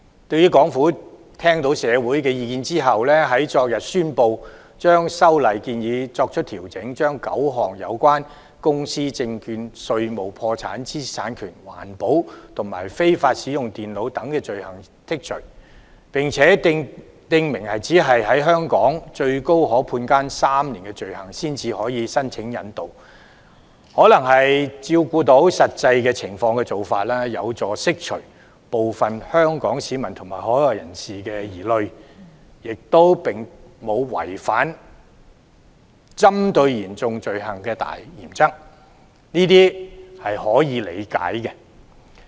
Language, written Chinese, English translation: Cantonese, 香港政府聽到社會的意見後，昨天宣布調整修例建議，將9項有關公司、證券、稅務、破產、知識產權、環保和非法使用電腦等罪類剔除，並且訂明只有在香港最高可判監3年或以上的罪行才可申請引渡疑犯，可能是要照顧到實際情況，有助釋除部分香港市民和海外人士的疑慮，亦沒有違反針對嚴重罪行的大原則，這些是可以理解的。, After taking into account the publics views the Hong Kong Government announced yesterday that it would adjust the proposed amendments by excluding nine items of offences relating to companies securities taxes and duties bankruptcy intellectual property environmental protection and unlawful use of computers . It also stipulates that surrender arrangements may only be applied for offences punishable with at least three years imprisonment in Hong Kong . The proposed amendments have taken into account the practical situation and allayed the worries of certain local and overseas people while the major principle of targeting serious offences has not been violated